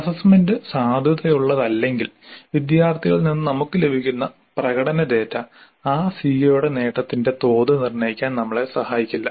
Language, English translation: Malayalam, Unless the assessment is valid, the performance data that we get from the students will not be of any help to us in determining what is the level of attainment of that CO